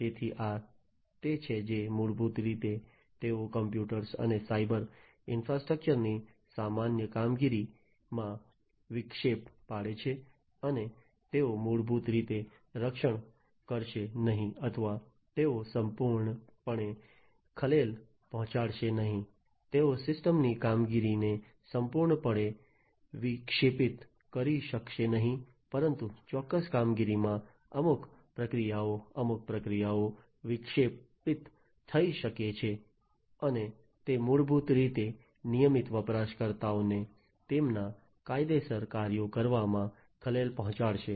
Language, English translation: Gujarati, So, these are the ones that basically they disrupt the normal operation of the computers and the cyber infrastructure, and they will they may or they may not basically protect or they may not disturb completely, they may not disrupt the functioning of the system completely but at certain operations, certain procedures, certain processes might be disrupted and that will basically disturb the regular user from performing their legitimate tasks